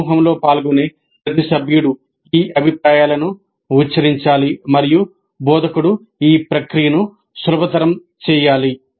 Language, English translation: Telugu, Every participant, every member of the group must articulate these views and instructor must facilitate this process